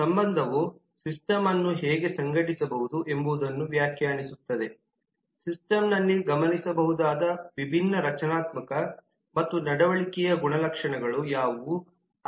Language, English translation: Kannada, the relationship defines how the system can be organized, what are the different structural and behavioral properties in the system that can be observed